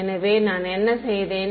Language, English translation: Tamil, So, what did I do